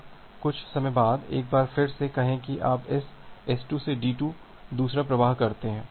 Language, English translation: Hindi, Now say after some time at once again you start another flow from says this S2 to D2